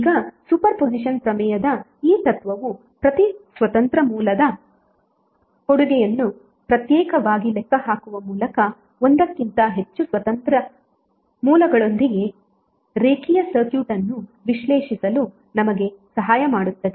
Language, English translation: Kannada, Now this principle of super position theorem helps us to analyze a linear circuit with more than one independent source by calculating the contribution of each independent source separately